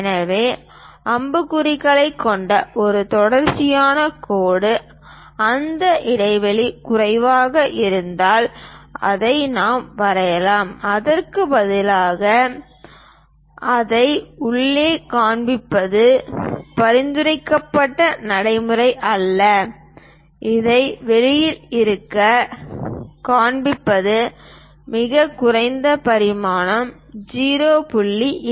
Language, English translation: Tamil, So, that a nicely a continuous line with arrow heads we can really draw it, if that gap is less, then it is not a recommended practice to show it inside instead of that, we show it from outside this is the lowest dimension 0